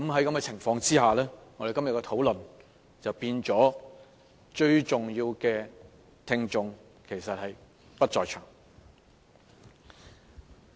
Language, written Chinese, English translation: Cantonese, 在這情況下，我們今天的討論便變成沒有最重要的聽眾在場。, For this reason it now turns out that the most important audience are absent in todays debate